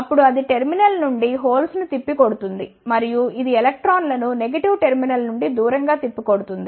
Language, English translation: Telugu, Then it will repel the holes away from the terminal and it will again repel the electrons away from the negative terminal